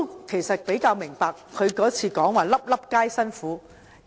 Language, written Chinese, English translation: Cantonese, 其實，我較能明白他上次說"粒粒皆辛苦"的意思。, Actually I can understand his feeling when he said last time that they have made painstaking efforts in securing every inch of land supply